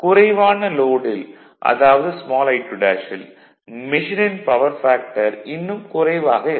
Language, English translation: Tamil, 8 at light load that is small I 2 dash the machine power factor is much lower